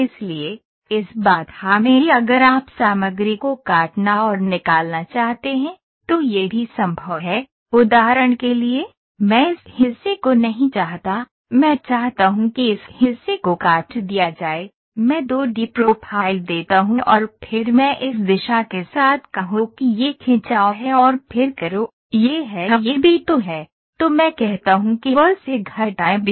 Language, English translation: Hindi, So, in this constraint also if you want to cut and remove material so, that is also possible, for example, I do not want this portion, I want this portion to be cut down, I give the 2 D profile and then I say along this direction stretch it and then do, this is A this is B so, then I say a subtract B from A